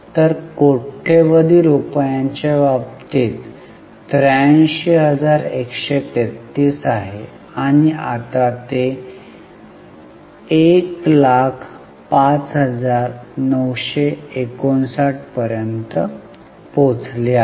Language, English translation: Marathi, So it is 83313 in terms of millions of rupees and it has now gone up to 10599